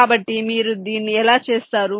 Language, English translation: Telugu, so how you do this